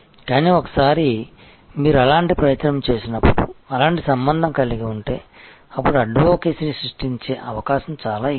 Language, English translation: Telugu, But, once you have such an effort, such a relationship then the opportunity for creating advocacy is much higher